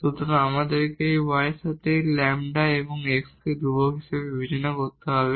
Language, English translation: Bengali, So, we have to differentiate now this with respect to y treating lambda and x as constant